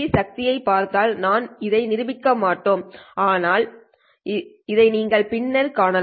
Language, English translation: Tamil, C power, we will not prove this one, but you can see this one later